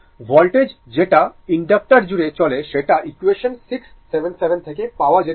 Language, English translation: Bengali, The voltage across the inductor can be obtained from equation 6 your 77, right